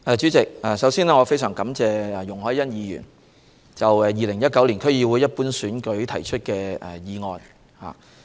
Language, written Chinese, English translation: Cantonese, 主席，首先，我非常感謝容海恩議員就2019年區議會一般選舉提出的議案。, President first of all I would like to thank Ms YUNG Hoi - yan for her motion on the 2019 District Council DC Ordinary Election